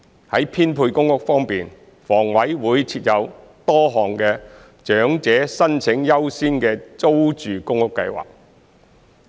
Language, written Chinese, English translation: Cantonese, 在編配公屋方面，房委會設有多項長者申請者優先資格的租住公屋計劃。, In respect of PRH allocation HA has various PRH schemes which accord priority to elderly applicants